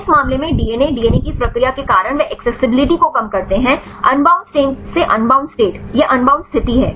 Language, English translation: Hindi, In this case DNA because of this process of DNA they reduce accessibility right from the unbound state to the unbound state this is the unbound state fine